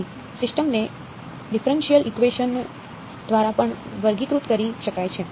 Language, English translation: Gujarati, So, a system can also be characterized by means of a differential equation right